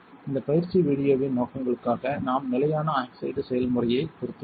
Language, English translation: Tamil, For the purposes of this training video we will be editing the standard oxide recipe